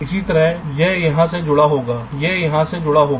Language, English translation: Hindi, similarly, this will be connected here